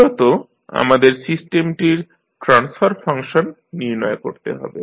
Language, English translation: Bengali, Basically, we need to find out the transfer function of the system finally